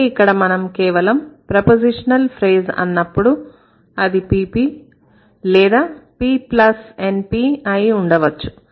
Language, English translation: Telugu, So, if we just say a pp which is a prepositional phrase could be a pp could be p plus np